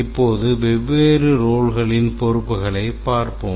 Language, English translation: Tamil, Now let's look at the responsibilities of the different roles